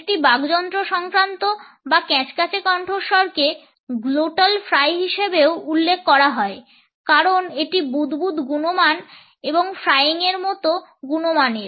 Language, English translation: Bengali, A Laryngealized or creaky voice is also referred to as a glottal fry because of it is bubbling quality, a frying like quality